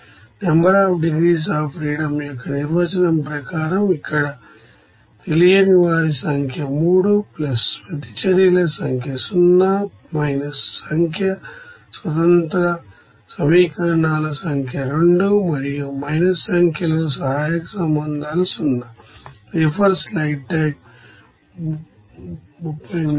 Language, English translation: Telugu, So, you can write here at 0, therefore as per definition of number of degrees of freedom NDF, that will be equals to here number of unknowns is 3 plus number of reactions is 0 minus number of independent equations is 2 and plus sorry minus number of auxiliary relations is 0